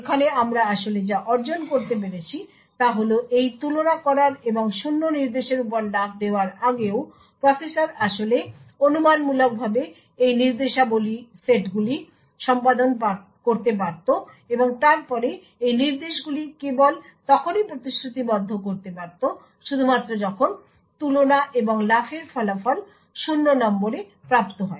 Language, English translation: Bengali, So what we actually achieve over here is that even before completing the execution of this compare and jump on no zero instructions the processor could have actually speculatively executed these set of instructions and then commit these instructions only when the result of compare and jump on no 0 is obtained